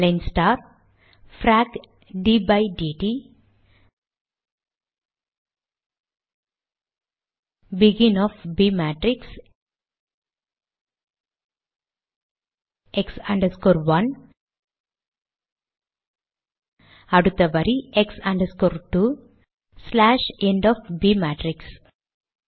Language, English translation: Tamil, Align star, Frac ,d by dt of begin b matrix, x 1, next line, x 2,end b matrix